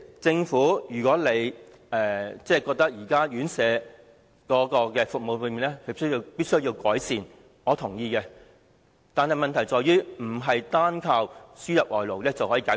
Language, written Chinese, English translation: Cantonese, 政府認為現時院舍服務必需改善，我是認同的，但問題不是單靠輸入外勞便能解決。, The Government considers the current RHCE services in need of improvement; this I agree . But the problem will not be solved solely by importation of labour